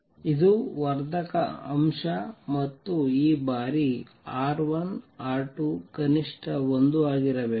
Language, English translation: Kannada, And this times R 1 R 2 should be at least 1